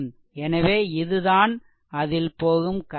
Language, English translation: Tamil, So this is the current flowing